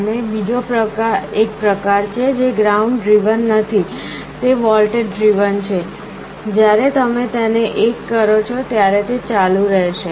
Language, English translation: Gujarati, And there is another kind which is not ground driven it is voltage driven, when you make it 1 it will be on